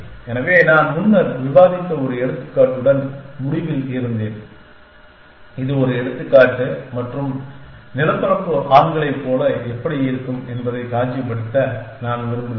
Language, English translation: Tamil, So, I was on the end with one example that we of discuss earlier, which is the example and what with a I want into a visualize what will the terrain look like men